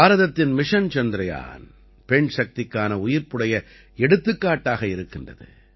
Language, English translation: Tamil, India's Mission Chandrayaan is also a live example of woman power